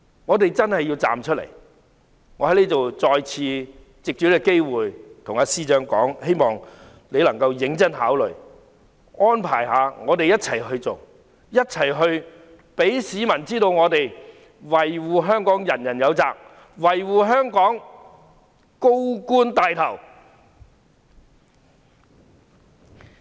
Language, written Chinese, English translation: Cantonese, 我們真的要站出來，我再次藉此機會跟司長說，希望他能夠認真考慮，安排我們一起做，一起讓市民知道，維護香港人人有責，維護香港，高官牽頭。, We really need to come out . I take this opportunity and repeat the same to the Chief Secretary . I hope he can truly consider arranging all of us to work together so as to send out a message to the public that safeguarding Hong Kong is everyones responsibility and the senior officials should take the lead to do so